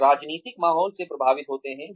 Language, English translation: Hindi, They are influenced by the political environment